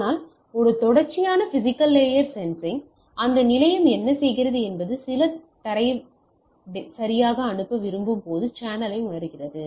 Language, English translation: Tamil, But in one persistent physical carrier sensing, what it is doing that station senses the channel when it wants to send some data right